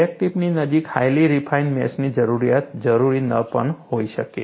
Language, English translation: Gujarati, The need for a highly refined mesh may not be required near the crack tip